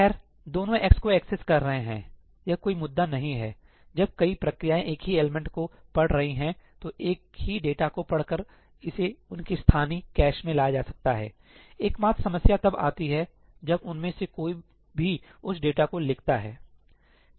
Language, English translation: Hindi, Well, both of them are accessing x, that is not an issue; when multiple processes are reading the same element , reading the same data, it can be fetched into their local cache; the only problem comes when any one of them writes to that data